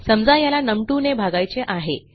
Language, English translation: Marathi, So, lets say this is divided by num2